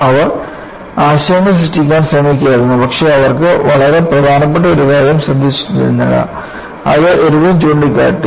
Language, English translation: Malayalam, And, they were trying to generate ideas, but they were missing a very important point; which was pointed out by Irwin